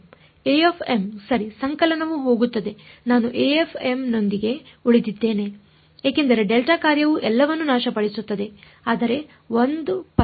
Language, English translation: Kannada, a m right the summation goes away I am left with a m because, the delta function annihilates all, but 1 pulse